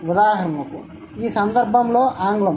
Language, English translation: Telugu, For example, in this case it's English